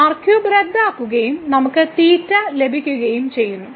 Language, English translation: Malayalam, So, this here square will get canceled, we will get cube